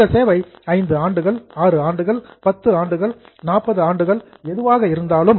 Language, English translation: Tamil, That service can be 5 years, 6 years, 10 years, 40 years, whatever